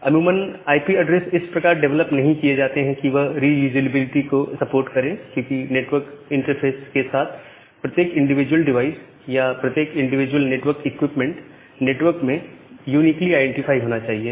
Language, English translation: Hindi, So, ideally IP addresses are not developed to support reusability because, every individual device or every individual networking equipment with the network interface card should be uniquely identified in the network